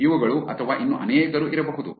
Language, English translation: Kannada, These ones or that could be many others also